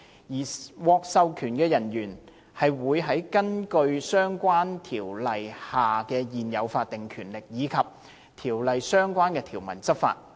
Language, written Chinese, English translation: Cantonese, 而獲授權人員會根據在相關條例下現有的法定權力，以及《條例》相關條文執法。, Authorized officers will enforce the law according to their statutory power under the relevant ordinances and relevant provisions under the Ordinance